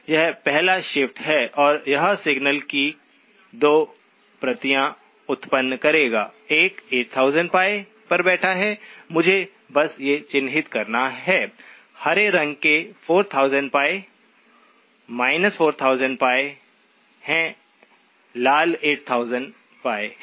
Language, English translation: Hindi, That is the first shift and it will produce 2 copies of the signal; one sitting at 8000pi, let me just mark these, the green ones are 4000pi minus 4000pi